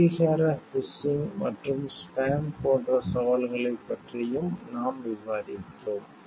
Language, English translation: Tamil, We have also discussed about the challenges of like authentication phishing and spam